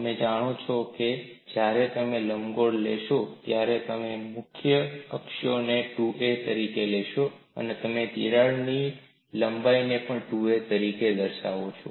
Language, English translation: Gujarati, You know when you take an ellipse you take the major axis as 2 a, and you also label the crack length as 2 b